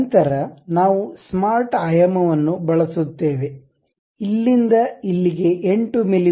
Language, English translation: Kannada, Then we use smart dimension, from here to here it supposed to be 8 mm